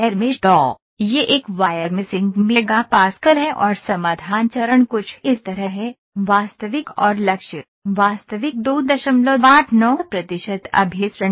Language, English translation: Hindi, So, this is a wire meshing mega Pascal and solution step is something like this, actual and target, actual is 2